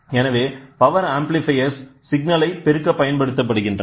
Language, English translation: Tamil, So, power amplifiers can be used such that you can amplify the signal